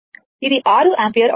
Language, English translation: Telugu, It will 6 ampere